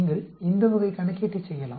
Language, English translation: Tamil, You can do this type of calculation